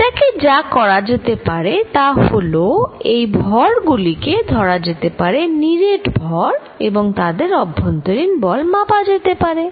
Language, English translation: Bengali, What one could do is that, one could take these masses, solid masses and measure the force between them